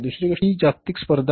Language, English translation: Marathi, Second thing is an increased global competition